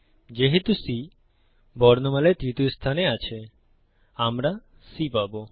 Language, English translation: Bengali, Since C is in position 3 in the alphabet, we get C